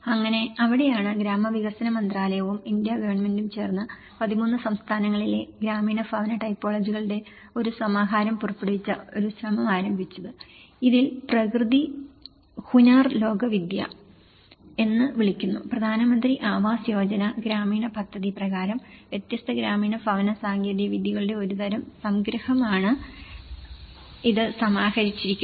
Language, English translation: Malayalam, So, that is where and there has been an effort by the Ministry of Rural Development and Government of India where they have issued a compendium of rural housing typologies of 13 states, this is called Prakriti Hunar Lokvidya under the Pradhan Mantri Awas Yojana Gramin scheme, this has been compiled as a kind of compendium of different rural housing technologies